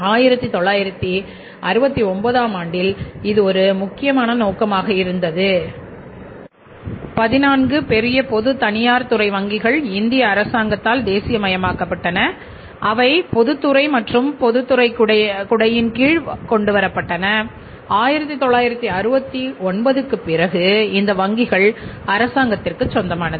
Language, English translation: Tamil, So, just not because of that but this was also one important purpose in 1969, 14 big private sector banks were nationalized by the government of India they were brought under the public sector ambit or public sector umbrella and government owned these banks after 1969